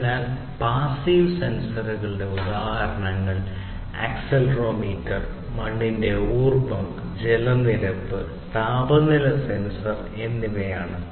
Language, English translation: Malayalam, So, examples of passive sensors are accelerometer, soil moisture, water level, temperature sensor, and so on